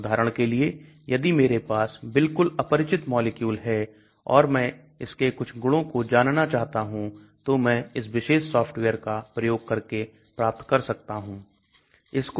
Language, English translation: Hindi, For example if I have totally unknown molecule and I want to know some of these properties I can find out using this particular software